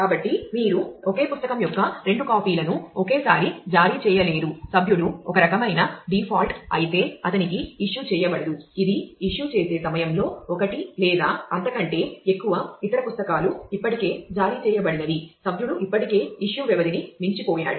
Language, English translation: Telugu, So, you cannot issue two copies of the same book at the same time no issue will be done to a member if he is kind of a default that is the time of at the time of issue one or more of the other books already issued by the member has already exceeded the duration of the issue